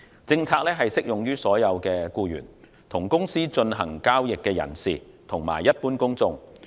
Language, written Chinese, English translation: Cantonese, 政策適用於所有的僱員、與公司進行交易的人士及一般公眾。, The policy applies to all staff parties who deal with the company and the general public